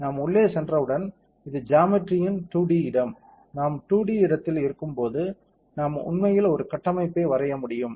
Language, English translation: Tamil, Once we are in; this is the 2D space of the geometry, once we are in the 2D space we can actually draw a structure I am going to draw a structure how do we draw the structure